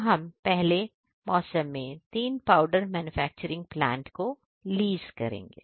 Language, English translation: Hindi, Now in first season we will lease plant 3 lease plant for powder manufacturing plant